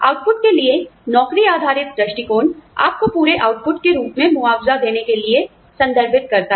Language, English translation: Hindi, Job based approaches for the output refers to the, to compensating you, for the output, as a whole